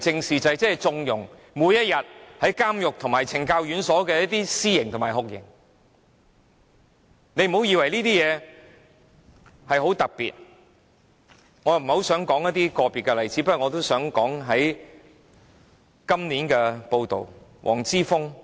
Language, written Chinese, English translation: Cantonese, 每一天都有人在監獄和懲教院所施行私刑和酷刑，我不想談論個別例子，但我想提述一則有關黃之鋒的報道。, Officers are lynching and torturing inmates of prisons and correctional institutions every day . I do not want to go over individual examples but I would like to talk about a news report about Joshua WONG